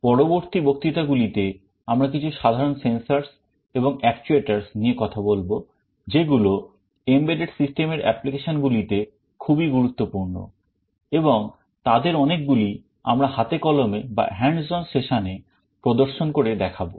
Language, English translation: Bengali, In the next lectures, we shall be talking about some of the common sensors and actuators that are very important in embedded system applications, and many of them we shall be actually demonstrating through the hands on sessions